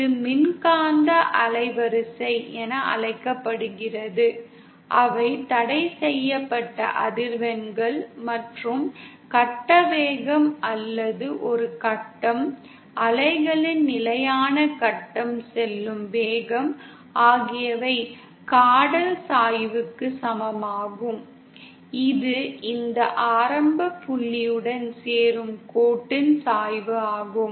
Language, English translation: Tamil, So this is called the electromagnetic bandgap which are the forbidden frequencies and the phase velocity or the velocity with which a phase, a constant phase of the wave goes, is equal to the caudal slope that is the slope of the line joining any point to the origin